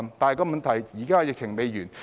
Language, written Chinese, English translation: Cantonese, 但問題是，現在疫情還未完結。, But the problem is that the epidemic is not yet over